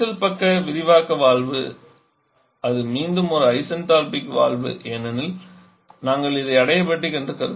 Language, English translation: Tamil, The solution side expansion valve it is a again isentropic wall because we are rising to adiabatic